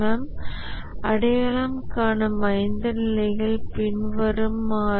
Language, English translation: Tamil, The five levels that the CMM identifies are the following